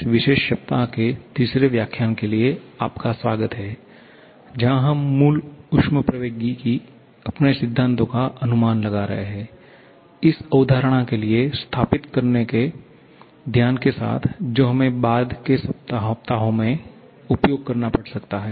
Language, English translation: Hindi, Welcome back for the third lecture of this particular week where we are reviewing our principles of basic thermodynamics with the focus of setting up for the concept which we may have to use in the subsequent weeks